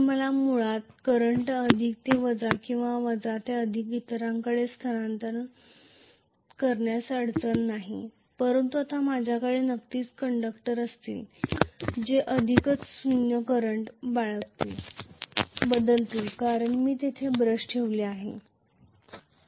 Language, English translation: Marathi, So, I would not have any difficulty basically to transfer the current from plus to minus or minus to plus no problem whereas now I am going to have definitely the conductors which are already not carrying 0 current will be expected to change over, because I put the brush there